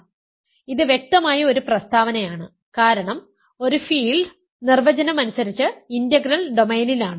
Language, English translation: Malayalam, So, this is an obvious statement because a field is by definition in integral domain